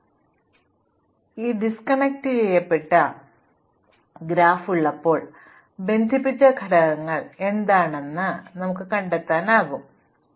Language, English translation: Malayalam, Now, when we have an undirected graph which is disconnected, we are also interested in finding out what the connected components are